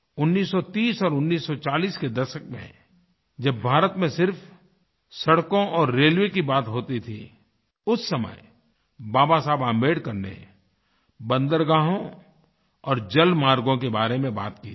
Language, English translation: Hindi, In the 30s and 40s when only roads and railways were being talked about in India, Baba Saheb Ambedkar mentioned about ports and waterways